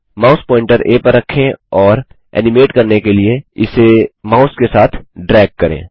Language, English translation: Hindi, I will choose A Place the mouse pointer on A and drag it with the mouse to animate